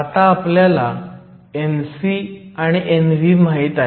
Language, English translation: Marathi, We can evaluate N c and N v